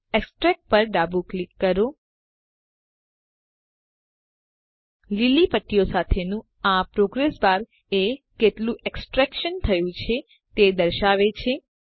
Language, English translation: Gujarati, Left Click Extract This progress bar with the green strips shows how much extraction is done